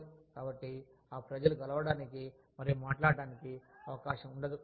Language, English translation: Telugu, So, that people, do not get a chance, to get together and talk